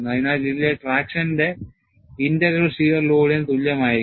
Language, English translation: Malayalam, So, the integral of the traction on this, would be equal to the shear load